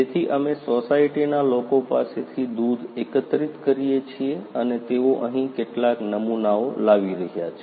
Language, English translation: Gujarati, So, we are collecting the milk from the society people and they are bringing some samples over here